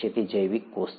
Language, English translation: Gujarati, It is a biological cell